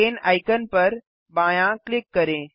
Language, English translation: Hindi, Left click the chain icon